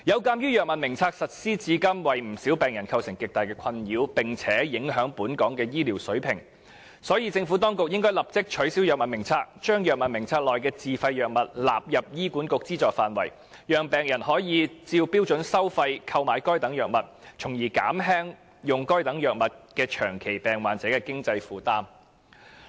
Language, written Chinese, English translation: Cantonese, 鑒於《藥物名冊》實施至今，為不少病人構成極大困擾，並且影響本港的醫療水平，所以政府當局應立即取消《藥物名冊》，將《藥物名冊》內的自費藥物納入醫院管理局資助範圍，讓病人可以按標準收費購買藥物，從而減輕長期病患者在用藥上的經濟負擔。, Given that many patients have been greatly troubled by the issue of self - financed drugs since the introduction of the Formulary and the quality of our health care services has thus been compromised the Government should abolish the Formulary immediately and include self - financed drugs listed thereon as drugs covered by the Hospital Authoritys standard services so that patients may purchase such drug items at standard charges thereby relieving the financial burden of chronic patients prescribed with these drugs